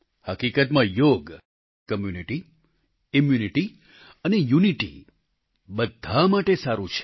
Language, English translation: Gujarati, Truly , 'Yoga' is good for community, immunity and unity